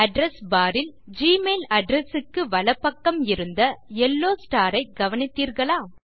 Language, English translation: Tamil, Did you notice the yellow star on the right of the gmail address in the Address bar